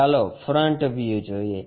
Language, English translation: Gujarati, Let us look at front view